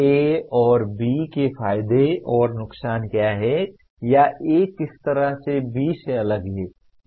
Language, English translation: Hindi, What are the advantages and disadvantages of A and B or in what way A differs from B